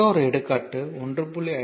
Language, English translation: Tamil, So, example another example say 1